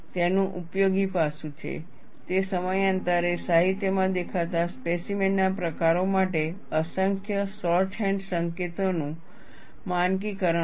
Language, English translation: Gujarati, Useful aspect of it is its standardization of the myriad of shorthand notations for specimen types that have appeared in the literature over time